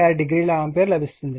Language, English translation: Telugu, 96 degree ampere